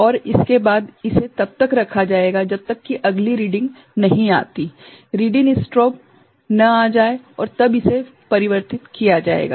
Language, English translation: Hindi, And, following that, it will be held till the next reading comes READ IN strobe comes and then it will be getting converted